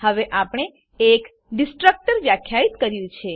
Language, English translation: Gujarati, Now we have defined a Destructor